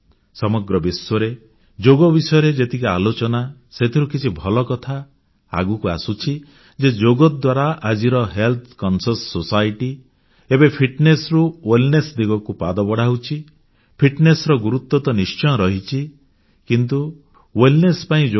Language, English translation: Odia, One significant outcome of the way the yoga is being talked about all around the world is the portent that today's health conscious society is now taking steps from fitness to wellness, and they have realised that fitness is, of course, important, but for true wellness, yoga is the best way